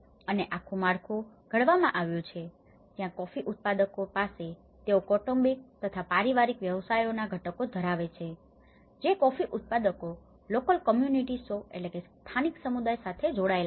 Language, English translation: Gujarati, And the whole structure has been framed where the coffee growers they have the constituents of family businesses a small family businesses and which are again linked with the coffee growers local communities